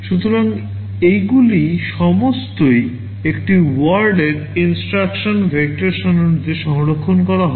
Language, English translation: Bengali, So, these are all one word instructions are stored in the vector table